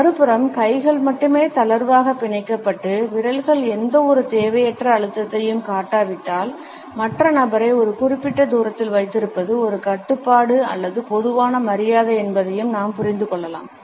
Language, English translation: Tamil, On the other hand if the hands are only loosely clenched and fingers do not display any unnecessary pressure, we can understand that it is either a restraint or a common courtesy to keep the other person at a certain distance